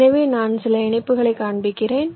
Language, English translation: Tamil, so i am showing some connections